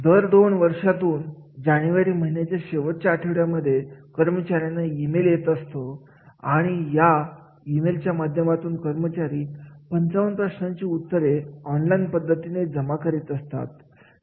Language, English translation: Marathi, Every alternative year during the last two weeks of January, employees receive an email, alerts to log into survey two called voices to complete a 55 question on online form